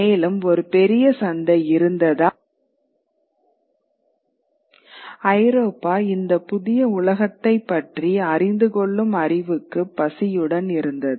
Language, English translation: Tamil, And because there was a great market, Europe was hungry for this knowledge of this new world